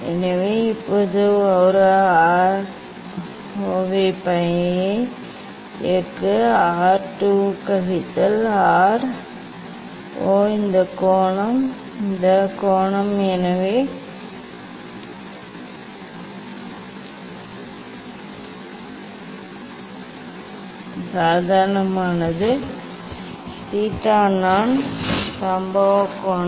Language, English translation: Tamil, So now, direct one R 0 ok; R 2 minus R 0 is this angle these angle So now, this the normal; theta i; theta i is the incident angle